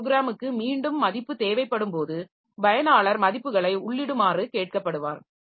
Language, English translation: Tamil, At that time some other program is executing and when the other program needs value again the user is prompted to enter values